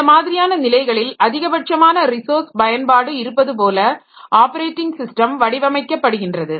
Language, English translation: Tamil, So, the operating system in such cases that is designed to maximize resource utilization